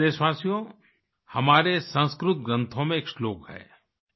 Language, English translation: Hindi, My dear countrymen, there is a verse in our Sanskrit texts